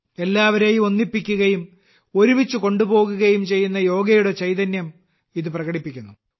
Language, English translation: Malayalam, It expresses the spirit of Yoga, which unites and takes everyone along